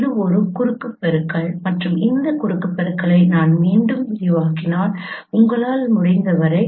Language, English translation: Tamil, This is the cross product and there as you can if I expand this cross product once again